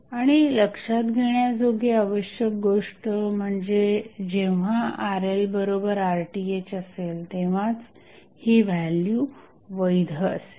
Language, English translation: Marathi, And important thing to consider is that this value will hold valid only when Rl is equal to Rth